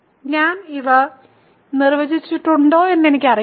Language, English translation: Malayalam, So, I do not know if I defined this